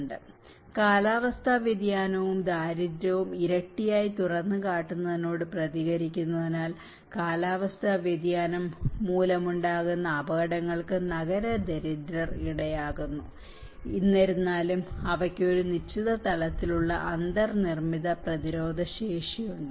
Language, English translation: Malayalam, (FL from 31:28 to 34:00), the urban poor are vulnerable to hazards induced by climate change as they respond to double exposure to climate variability and poverty; however, they also have certain level of built in resilience